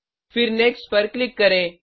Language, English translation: Hindi, Then click on Next